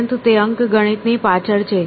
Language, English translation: Gujarati, But, he is going behind arithmetic